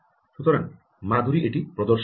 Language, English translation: Bengali, so madhuri will demonstrate this